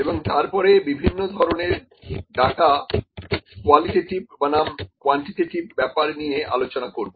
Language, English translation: Bengali, And then we will discuss about the types of data qualitative versus quantitative data